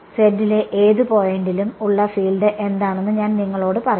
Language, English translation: Malayalam, I will tell you what is the field at any point z